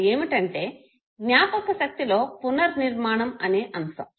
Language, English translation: Telugu, This is called memory construction